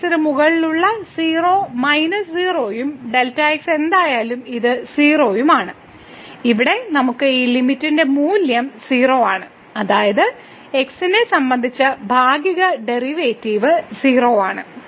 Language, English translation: Malayalam, So, 0 minus 0 over delta and this is 0 whatever delta ’s so, we have here the value of this limit is 0; that means, the partial derivative with respect to is 0